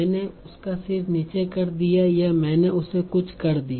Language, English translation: Hindi, I made her lower her head or I made her do something